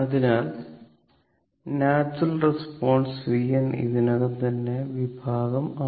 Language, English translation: Malayalam, Therefore natural response v n is already expressed in section 6